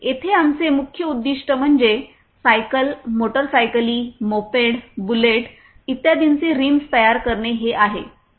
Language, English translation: Marathi, Our main objective here is to manufacture the rims of cycles, motorcycles, moped, bullet, etc